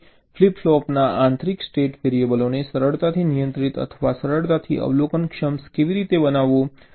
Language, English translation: Gujarati, so how to make this internal state variables of flip flops, ah, easily controllable or easily observable